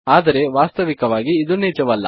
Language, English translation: Kannada, But in actual fact, thats not true